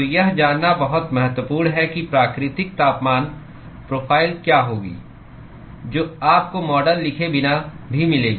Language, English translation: Hindi, So, it is very important to intuit what is going to be the natural temperature profile that you would get even without writing the model